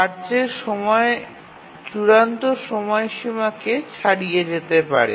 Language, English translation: Bengali, So, the task time may extend beyond the deadline